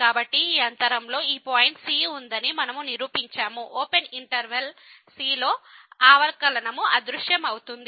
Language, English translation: Telugu, So, in this way we have proved this that there is a point in this interval , in the open interval where the derivative vanishes